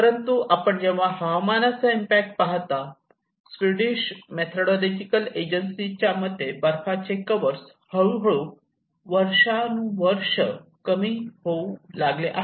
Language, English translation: Marathi, But when you look at the weather impacts like this is from the Swedish methodological agency and where we can see the snow cover have started gradually reduced from year after year